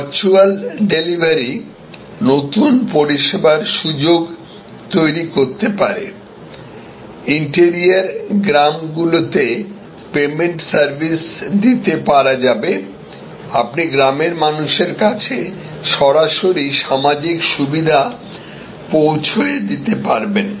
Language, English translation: Bengali, The virtual delivery can create new service opportunities, you can take payment services to interior villages, you can create direct delivery of social benefits to people in villages